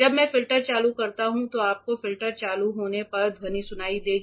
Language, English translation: Hindi, When I switch on the filter you will hear the sound with the filter switching on